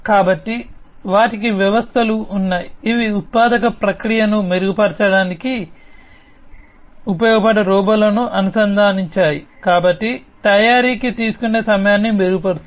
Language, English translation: Telugu, So, they have systems, which are connected robots that can be used for improving the manufacturing process, so improving the time that it takes for manufacturing